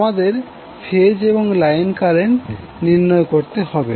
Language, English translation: Bengali, We need to calculate the phase and line currents